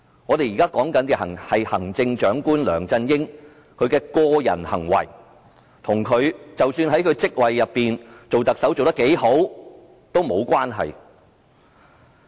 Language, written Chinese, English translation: Cantonese, 我們現在討論的是行政長官梁振英的個人行為，即使他在特首的職位上做得多好也沒有關係。, We are now talking about the personal behaviour of Chief Executive LEUNG Chun - ying which has nothing to do with how good he has performed as the Chief Executive